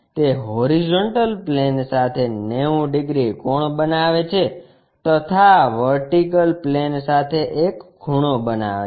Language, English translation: Gujarati, It makes 90 degrees angle with the horizontal plane, makes an angle with the vertical plane